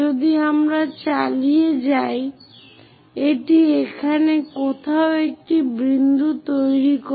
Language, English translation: Bengali, If we continue, it goes and makes a point somewhere here